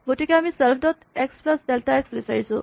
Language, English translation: Assamese, So, you want self dot x plus delta x